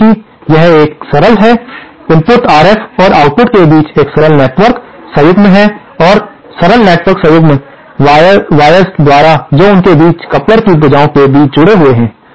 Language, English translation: Hindi, Now because this is a simple, there is a simple network connection between the input RF and the output and the simple network connection is enforced by these wires which are connected between them, between the arms of the coupler